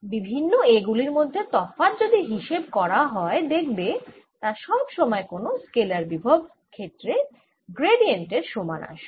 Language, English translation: Bengali, if you calculate the difference between the different a's again, that come out to be equal to gradient of certain scalar field